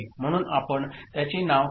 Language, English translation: Marathi, So, we are naming it Q, R, S, T right